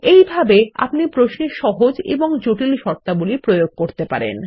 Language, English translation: Bengali, This is how we can introduce simple and complex conditions into our query